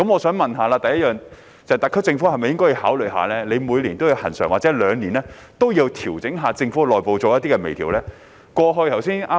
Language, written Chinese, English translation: Cantonese, 請問特區政府會否考慮每年或每兩年作恆常調整，對政府內部的運作進行微調呢？, Will the SAR Government consider a regular adjustment at annual or biennial intervals for the purpose of fine - tuning the internal operation of the Government?